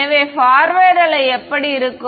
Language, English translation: Tamil, So, what is the forward wave look like